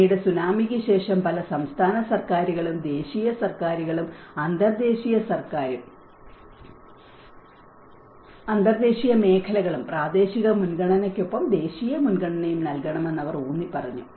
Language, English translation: Malayalam, And later on after the Tsunami, the many of the state governments and the national governments and the international sectors, they have emphasized that it has to be a national priority also with the local priority